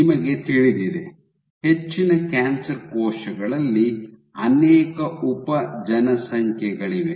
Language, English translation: Kannada, So, you know for example, in most cancer cells there are multiple subpopulations which are present